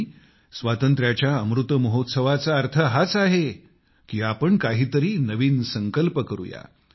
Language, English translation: Marathi, And the Amrit Mahotsav of our freedom implies that we make new resolves…